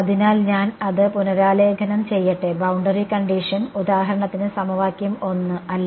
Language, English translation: Malayalam, So, let me rewrite it boundary condition is for example, equation 1 right